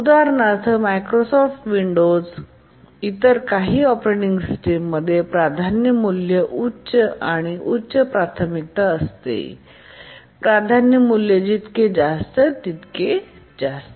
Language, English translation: Marathi, For example, in Microsoft Windows and some other operating systems, the priority value is the higher the priority, the higher is the priority value